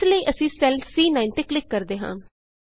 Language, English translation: Punjabi, So lets click on the C9 cell